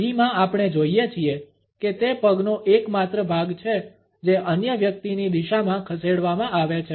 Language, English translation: Gujarati, In B we find that it is the sole of the foot which is moved in the direction of the other person